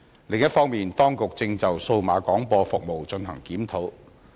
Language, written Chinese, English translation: Cantonese, 另一方面，當局正就數碼廣播服務進行檢討。, On the other hand the authorities are undertaking a review on DAB services